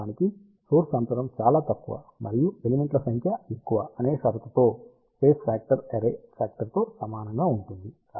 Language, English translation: Telugu, In fact, space factor is similar to array factor with the condition that the element spacing is very very small and number of elements are large